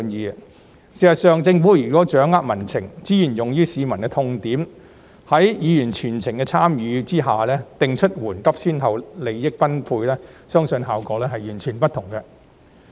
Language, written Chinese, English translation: Cantonese, 事實上，如果政府掌握民情，資源用於市民的痛點，在議員全程參與的情況下，定出緩急先後、利益分配，相信效果會完全不同。, In fact if the Government has a good grasp of public sentiment spends resources on addressing the publics sore points and sets priorities for distribution of benefits with the full engagement of Members I believe that the outcome will be completely different